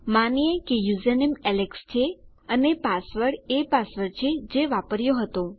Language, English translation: Gujarati, Lets say username is alex and my password is the password that I used